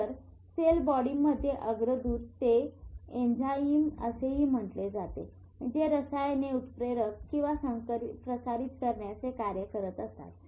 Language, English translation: Marathi, So precursor in the cell body, they are enzymes, they are chemicals which catalyze, they transmit substance